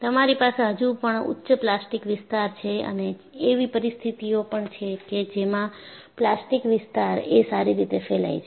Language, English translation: Gujarati, You have still higher plastic zone and you also have situations, where the plastic zone is visibly spread